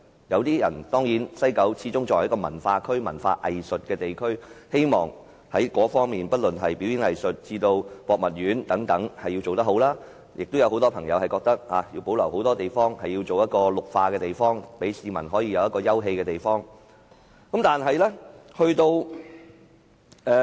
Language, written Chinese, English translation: Cantonese, 有市民認為，西九始終是一個文化藝術區，應具備良好的表演藝術場地以至博物館等設施，亦有很多市民認為西九要保留很多土地作為綠化空間，好讓市民有休憩的地方。, Some people may think that since WKCD is a cultural district it should provide good performing arts venues and museums while many others think that large green areas should be reserved in WKCD as open areas